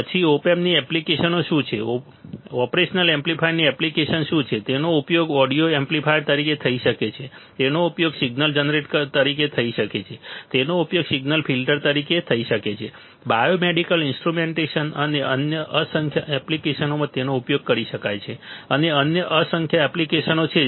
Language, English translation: Gujarati, Then what are the applications of op amps, what are the application of operational amplifier, it can be used as an audio amplifier, it can be used as a signal generator, it can be used as a signal filter, it can be used as a biomedical instrumentation and numerous other applications, numerous other applications ok